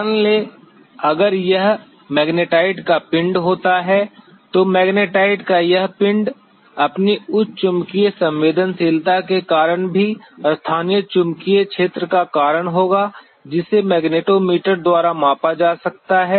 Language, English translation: Hindi, Say, if it happens to be a body of magnetite then this body of magnetite by virtue of its higher magnetic susceptibility will also cause the local magnetic field which can be measured by a magnetometer